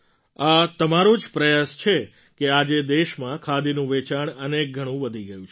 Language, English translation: Gujarati, It is only on account of your efforts that today, the sale of Khadi has risen manifold